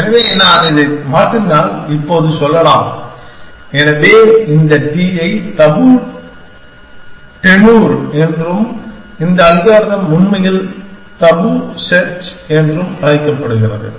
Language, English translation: Tamil, So, if I change this, now let us say, so this t is called the tabu tenure and this algorithm is actually called tabu search